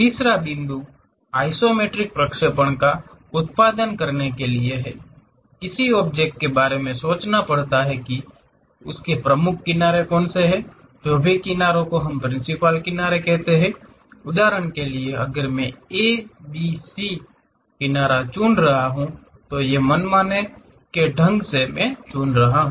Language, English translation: Hindi, The third point, to produce isometric projection; one has to worry in the object, so that its principal edges, whatever the edges we call principal edges, for example, if I am choosing A edge, B edge, C edge, these are arbitrarily I am choosing